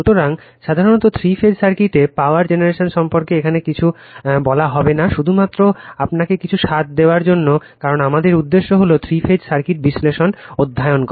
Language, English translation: Bengali, So, generally power generation in three phase circuit nothing will be told here just giving you some flavor, because our objective is to study the three phase circuit analysis